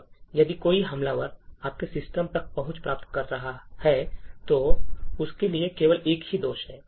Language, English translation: Hindi, Now, if an attacker wants to get access to your system, all that is required is just a one single flaw